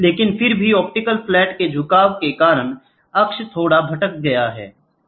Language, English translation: Hindi, But however, the axis is slightly deviated due to the inclination of the optical flat